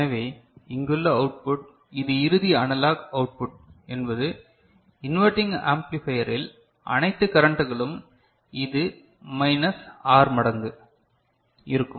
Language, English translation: Tamil, So, the output over here this is the final analog output will be this minus R times, because it is inverting amplifier multiplied by all the currents ok, all the currents right